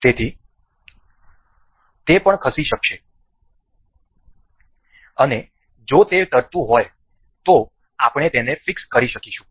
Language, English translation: Gujarati, So, it will also be moving and in case if it is floating we can fix this